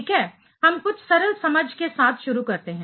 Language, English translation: Hindi, Well, let us start with some simple understanding